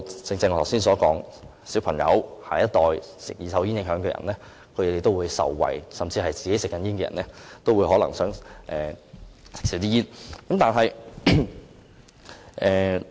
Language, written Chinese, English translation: Cantonese, 正如我剛才所說，兒童或受"二手煙"影響的人也能因而受惠，甚至本身是吸煙的人也可能因而想減少吸煙。, As I pointed out earlier children and passive smokers might also stand to benefit . Even smokers themselves might wish to smoke less as a result